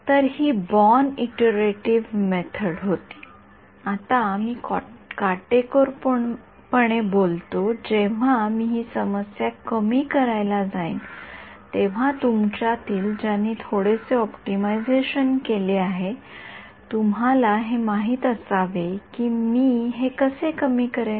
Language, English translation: Marathi, So, this was the born iterative method, now strictly speaking when I go to minimize this problem those of you who have done a little bit of optimization, you should know how will I minimize this